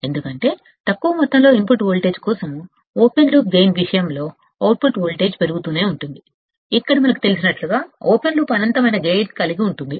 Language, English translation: Telugu, Because even for a small amount of input voltage, the output voltage will keep on increasing in the case of the open loop gain, where the open loop has infinite gain as we know